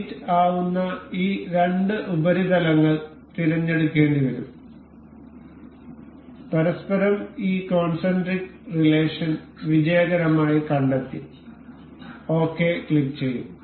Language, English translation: Malayalam, We will have we have to select these two surfaces we will go on mate, and it is successfully detected this concentric relation with each other we will click ok